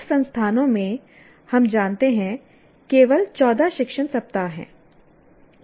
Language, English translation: Hindi, In some institutions we know of there are only 14 teaching weeks